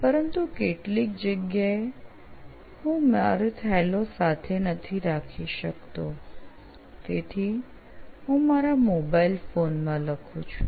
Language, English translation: Gujarati, But in some areas I cannot take my bags, so there I write in my mobile phone